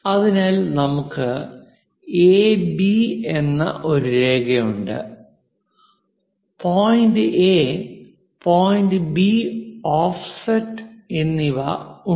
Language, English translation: Malayalam, So, what is given is; we have a line AB; point A and point B